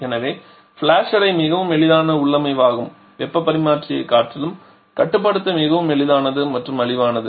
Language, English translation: Tamil, So, flash memory is a much easier configuration much easier to control ensure the heat exchanger and cheaper as well